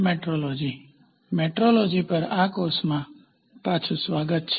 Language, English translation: Gujarati, Welcome back to this course on Metrology